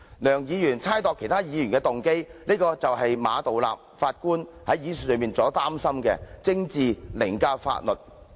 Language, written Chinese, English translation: Cantonese, 梁議員猜度其他議員的動機，正正是馬道立首席法官所擔心的政治凌駕法律的例子。, Dr LEUNG has speculated on the motives of other Members; this is precisely a case of politics overriding the law a matter of concern by Chief Justice Geoffrey MA